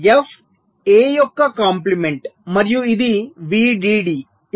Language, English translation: Telugu, so f is given by the complement of a and this is v dd